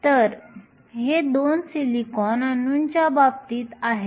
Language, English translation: Marathi, So, this is in the case of 2 silicon atoms